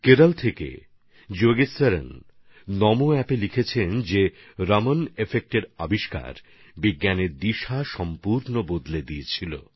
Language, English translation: Bengali, Yogeshwaran ji from Kerala has written on NamoApp that the discovery of Raman Effect had changed the direction of science in its entirety